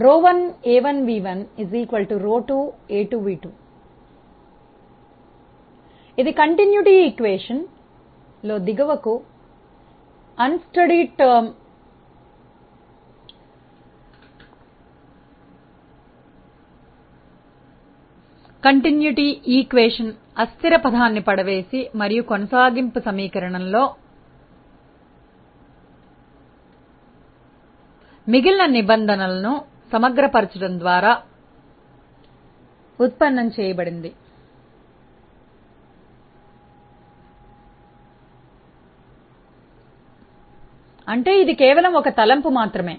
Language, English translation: Telugu, This was derived by dropping the unsteady term in the continuity equation and integrating the remaining terms in the continuity equation; that means, the only assumption was it was steady flow